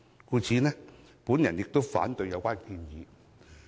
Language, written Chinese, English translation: Cantonese, 故此，我反對有關修正案。, Therefore I oppose the amendment